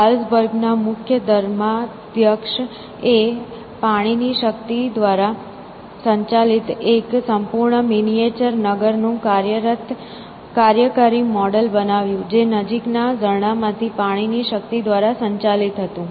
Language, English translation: Gujarati, The Archbishop of Salzburg built a working model of a complete miniature town, driven by water power essentially, operated by water power from a nearby stream